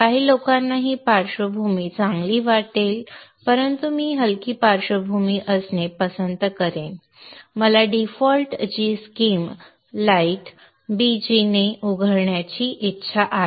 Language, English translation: Marathi, Some people may like this background fine but I would prefer to have a light background and I would like to have the default GSM opening with light BG